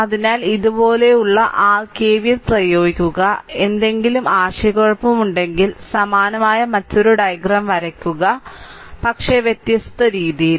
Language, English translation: Malayalam, So, you apply your KVL like these right you have apply KVL like this, if you if you have any confusion I can I can draw a different diag neat same diagram, but in different way